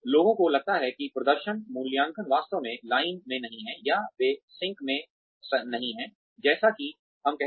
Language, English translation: Hindi, People feel that, the performance appraisals are not really, in line, or they are not in sync, as we say